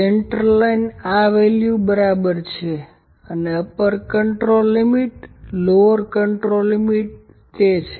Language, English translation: Gujarati, Central line is equal to this value and upper control limit, lower control limit are there